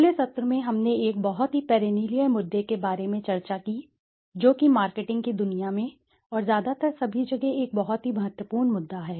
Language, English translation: Hindi, In the last session, we discussed about a very perennial issue, a very important issue in the world of marketing and mostly in all everywhere